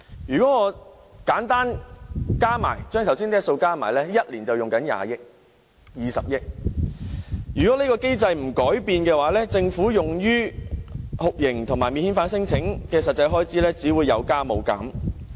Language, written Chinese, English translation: Cantonese, 如果把上述數字簡單加起來 ，1 年便要花20億元；如果這機制不改變，政府用於酷刑和免遣返聲請的實際開支只會有增無減。, According to our conservative estimation the cost per year will be some 70 million . Simply add up the above figures and we can see that it will cost 2 billion a year . Should the unified screening mechanism remain unchanged the actual expenditure on handling non - refoulement claims will only keep increasing